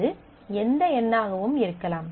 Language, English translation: Tamil, It can be anything any number